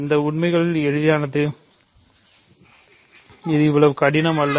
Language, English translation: Tamil, So, this is easy actually, this is not that difficult